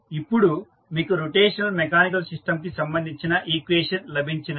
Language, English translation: Telugu, So, now you get the equation related to rotational mechanical system